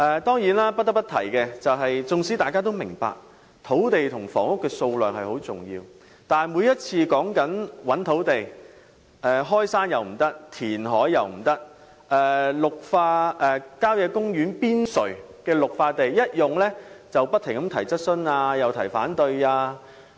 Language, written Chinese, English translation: Cantonese, 不得不提的是，縱使大家也明白土地與房屋的供應量十分重要，但當談到尋覓土地時，無論是開山填海或開發郊野公園邊陲的綠化地帶，議員都會不斷提出質詢和反對。, It should be noted that while Members are aware of the importance of land and housing supply they raise incessant questions and opposition when discussing the issue of land identification be it through reclamation or the development of green belts on the periphery of country parks